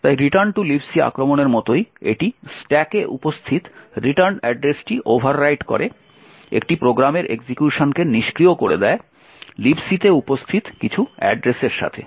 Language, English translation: Bengali, So just like the return to libc attack it subverts execution of a program by overwriting the return address present in the stack with some address present in libc